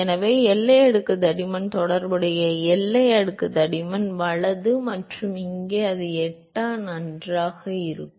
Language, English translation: Tamil, So, boundary layer thickness that corresponds to the corresponding boundary layer thickness right and here it will be a function of eta fine